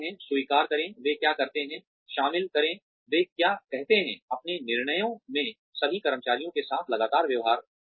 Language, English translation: Hindi, Accept, what they say, incorporate, what they say, in your decisions, treat all employees consistently